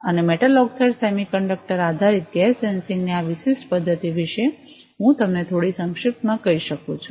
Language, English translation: Gujarati, And I can brief you little bit about this particular method of metal oxide semiconductor based gas sensing